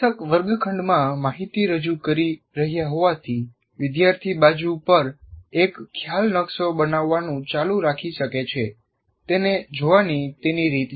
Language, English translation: Gujarati, As the teacher is presenting the information in the classroom, I can keep building a concept map on the side, my way of looking at it